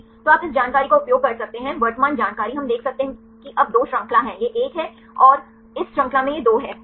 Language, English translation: Hindi, So, you can use this information current information, we can see now there are 2 chain this is one and this is two right in this chain